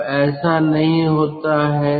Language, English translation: Hindi, now it does not happen